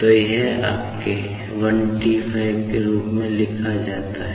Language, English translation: Hindi, So, this can be written as your 15T